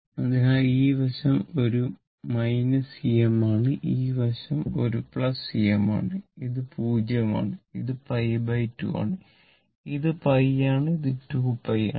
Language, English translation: Malayalam, So, this side is a minus E m this side is a plus E m and this is 0, this is pi by 2, this is pi this is your 2 pi right